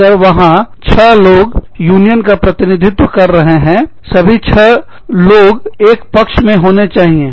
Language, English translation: Hindi, If there are six people, representing the union, all six should be, on the side of the union